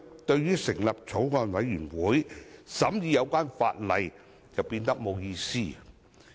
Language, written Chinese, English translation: Cantonese, 這樣，成立法案委員會審議法例就變得沒有意義。, Then it will become meaningless to set up a Bills Committee to scrutinize legislation